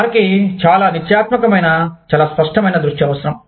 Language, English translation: Telugu, They need, very definitive, very clear focus